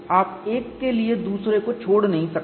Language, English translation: Hindi, You cannot leave out one over the other